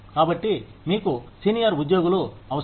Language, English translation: Telugu, So, you need senior employees